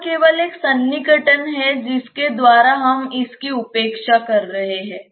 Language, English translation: Hindi, It is only an approximation by which we are neglecting it